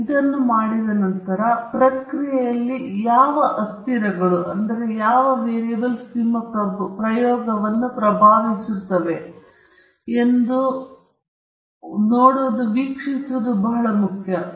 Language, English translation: Kannada, Once you have done these, it’s very important to see which variables in the process are actually influencing your experiment